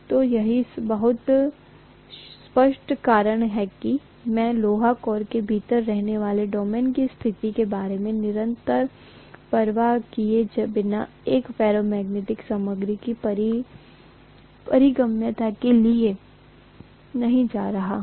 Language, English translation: Hindi, So that is the reason why I am not going to have the permeability of a ferromagnetic material to be a constant irrespective of the status of the domains which are residing within the iron core, very clear